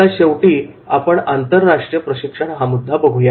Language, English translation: Marathi, Finally we will come to the international training